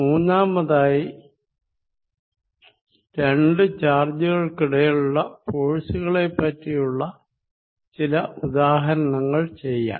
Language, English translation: Malayalam, Third, then we are going to solve some examples for forces between two charges